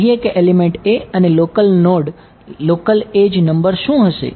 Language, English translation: Gujarati, Say element a and local node the local edge number what